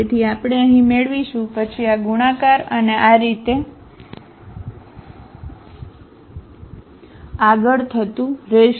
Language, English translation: Gujarati, So, we will get here then this will be multiplied to this and so on